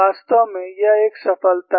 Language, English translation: Hindi, In fact, this is a success